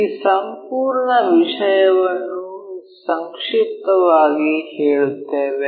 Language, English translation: Kannada, Let us summarize this entire thing